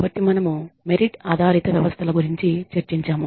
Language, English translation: Telugu, So, we have discussed merit based systems